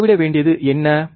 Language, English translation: Tamil, What we have to measure